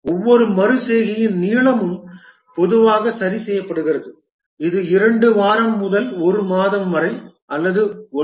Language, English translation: Tamil, The length of each iteration is typically fixed, something like a two week to one month or maybe 1